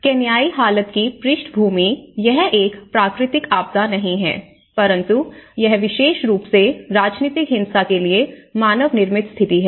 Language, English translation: Hindi, The background of Kenyan condition, it is not a natural disaster but it is a kind of manmade situations especially the political violence